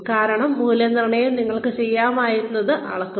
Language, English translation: Malayalam, Because, appraisals measure, what you could have done